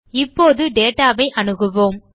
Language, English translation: Tamil, let us now access data